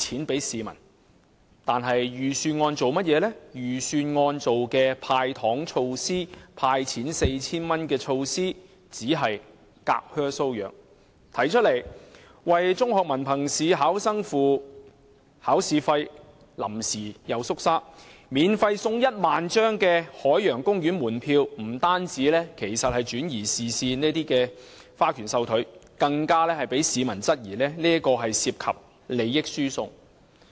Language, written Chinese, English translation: Cantonese, 然而，預算案"派錢 "4,000 元的措施只是隔靴搔癢；提出為中學文憑試考生支付考試費又臨陣退縮；免費送出1萬張海洋公園門票，不單是轉移視線的花拳繡腿，更被市民質疑涉及利益輸送。, However the measure proposed in the Budget to hand out 4,000 is simply ineffective; the proposal to pay the examination fees for candidates of the Hong Kong Diploma of Secondary Education Examination is cancelled at the last moment; and the provision of 10 000 free Ocean Park tickets is not only a fancy move to divert attention but also being queried by the public for transfer of benefits